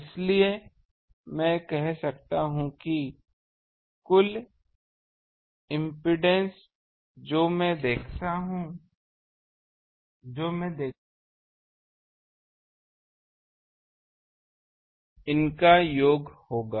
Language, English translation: Hindi, So, I can say that total impedance that I will see here will be sum of these